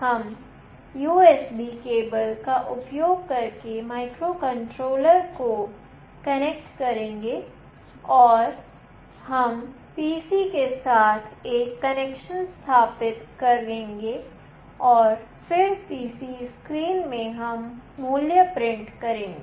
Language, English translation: Hindi, We will be connecting the microcontroller using the USB cable and then we will be establishing a connection with the PC and then in the PC screen we will print the value